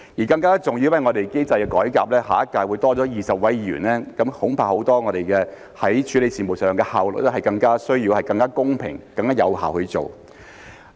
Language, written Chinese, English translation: Cantonese, 更加重要的是，因為機制的改革，下屆會多了20名議員，我們處理很多事務上的效率，恐怕是需要更加公平、更加有效地去做。, More importantly still there will be 20 additional Members in the next term due to the reform of the system . For the sake of the efficiency in handling many matters I am afraid that we will need to deal with them in a fairer and more effective manner